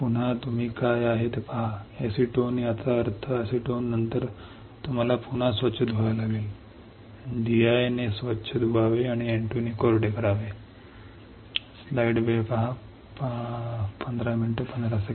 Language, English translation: Marathi, Again you see what is there acetone; that means, you have to again rinse after acetone you have to rinse, rinse with D I and dry with N 2 dry